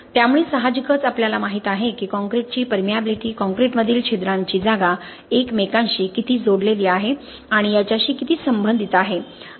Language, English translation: Marathi, So of course we know that permeability of concrete is related to how interconnected the pore spaces in the concrete are